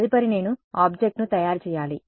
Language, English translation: Telugu, Next I have to make the object